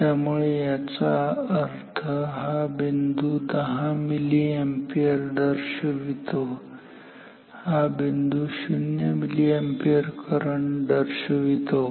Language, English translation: Marathi, So, that means, this point corresponds to 10 milliampere and this point corresponds to 0 milliampere